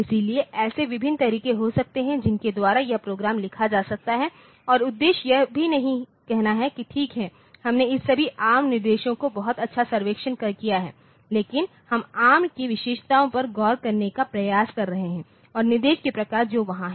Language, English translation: Hindi, So, there can be different ways by which this program can be written and the objective is also not to say that ok, we have to we have done a very good survey of this all the instructions ARM, but we are trying to look into the features of ARM and the types of instructions that are there, ok